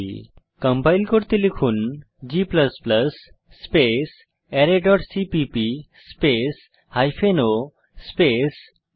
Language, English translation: Bengali, To compile type, g++ space array dot cpp space hypen o space array1